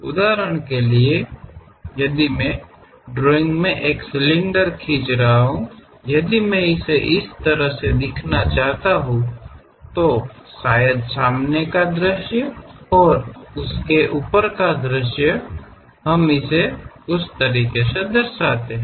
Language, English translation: Hindi, For example, if I am drawing a cylinder; in drawing if I would like to represent, perhaps the views will be the front view and top view of that, we represent it in that way